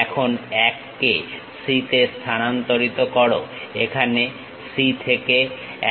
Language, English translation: Bengali, Now, transfer 1 to C length from C to 1 here